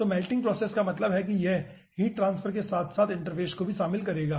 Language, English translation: Hindi, so melting process means it will be involving heat transverse as well as you know interface